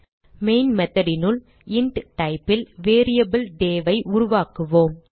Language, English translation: Tamil, Inside the main method, we will create a variable day of type int